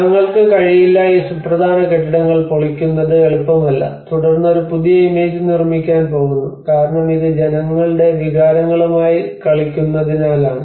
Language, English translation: Malayalam, We cannot, it is not easy to demolish these important buildings and then we are going to construct a new set of image because it is to play with the peoples emotions peoples belonging